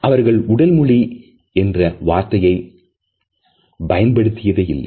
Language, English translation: Tamil, They had never use the word body language